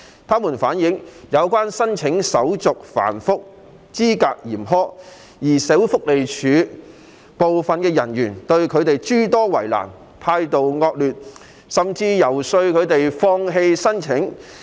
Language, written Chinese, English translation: Cantonese, 他們反映，有關申請程序繁複及資格嚴苛，而社會福利署部分人員對他們諸多為難和態度惡劣，甚至游說他們放棄申請。, They have relayed that the relevant application procedure is cumbersome and the eligibility criteria are stringent and some officers of the Social Welfare Department SWD made things difficult for them displayed poor attitude and even persuaded them to give up their applications